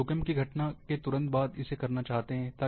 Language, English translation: Hindi, They would like to have, immediately after that earthquake event